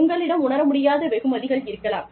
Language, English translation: Tamil, You can also have, intangible rewards